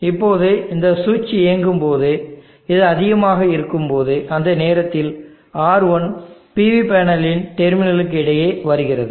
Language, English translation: Tamil, Now when this switch is on when this is high, so during that time the switched on R1 comes across the terminals of the PV panel